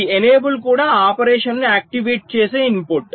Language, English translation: Telugu, so this enable is also an input which activates the operation